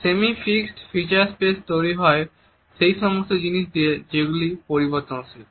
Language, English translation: Bengali, The semi fixed feature space is created by an arrangement of those elements which are mobile